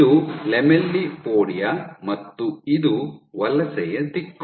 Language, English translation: Kannada, This is your lamellipodia and this is the migration direction